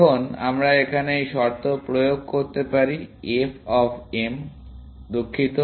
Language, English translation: Bengali, Now, we can apply this criteria here, f of m, sorry